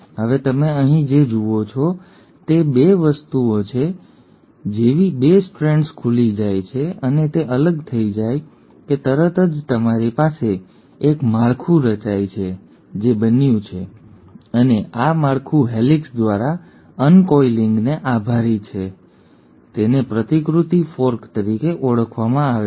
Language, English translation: Gujarati, Now, what you notice here is 2 things, one; as soon as the 2 strands have opened and they have got separated you have a formation of a structure which has taken place and this structure thanks to the uncoiling by the helicase is called as the replication fork